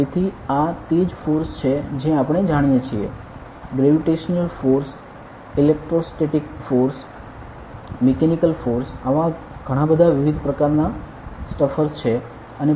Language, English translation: Gujarati, So, this is what forces we know different kind of force gravitational force, electrostatic force, mechanical force such many of such stuffer there